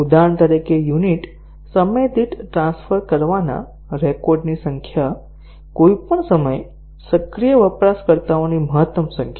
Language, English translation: Gujarati, For example, the number of records to be transferred per unit time, maximum number of users active at any time